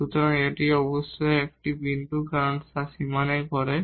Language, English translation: Bengali, So, this is a point certainly because falling on the boundary